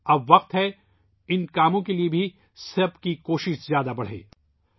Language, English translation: Urdu, Now is the time to increase everyone's efforts for these works as well